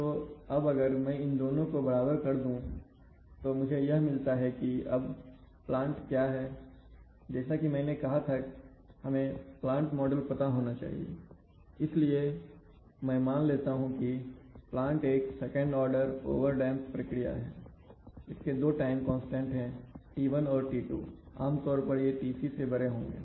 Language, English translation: Hindi, So if I equate them and then what I find is that now if the, now what is the plant, so I said the plant model should be known I'm assuming that the plant is the second order process, over damped, it has two time constants, one is t1 and t2 typically they will be larger than Tc when we control something we want to make its response, generally we have to make its response faster